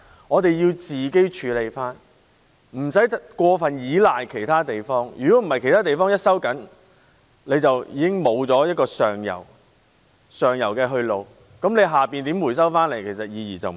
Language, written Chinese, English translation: Cantonese, 我們必須可自行處理，無須過度依賴其他地方，否則只要其他地方收緊，我們便失去上游去路，不管下游如何回收，意義已經不大。, We should deal with it on our own without relying too heavily on other places or else if they tighten the restrictions we will lose the upstream outlets and then the recovery downstream will be of little significance no matter how well it goes